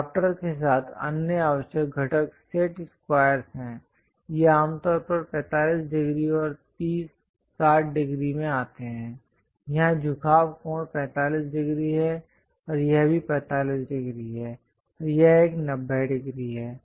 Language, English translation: Hindi, Along with drafter, the other essential components are set squares ; these usually come in 45 degrees and 30, 60 degrees, here the inclination angle is 45 degrees, and this one is also 45 degrees, and this one is 90 degrees